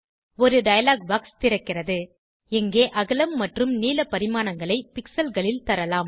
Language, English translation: Tamil, A dialog box opens, where we can specify the width and height dimensions, in pixels